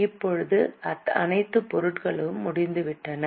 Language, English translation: Tamil, Now all items are over